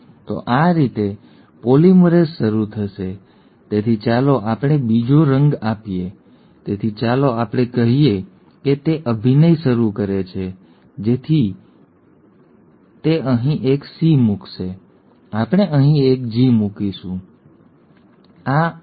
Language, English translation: Gujarati, So this is how the polymerase will start, so let us give another colour, so let us say it starts acting so it will put a C here, we will put a G here, it is an A here and A again